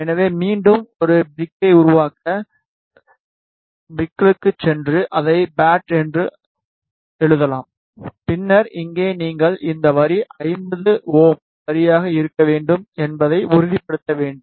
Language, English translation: Tamil, So, to create a brick again go to brick and may be write it as pad, then in u here you need to just ensure that this line should be 50 ohm line